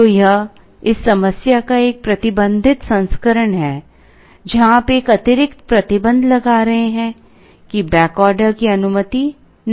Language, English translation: Hindi, So, this is a restricted version of this problem, where you are putting an additional restriction that, back ordering is not allowed